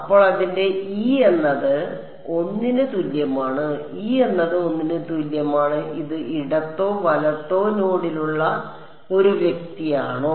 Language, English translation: Malayalam, So, its e is equal to 1 and for e is equal to 1 that is this guy which is at the left or right node